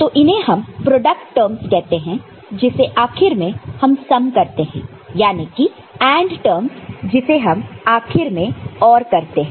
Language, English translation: Hindi, So, these are called product terms and which is finally summed ok, the AND terms which is finally ORed ok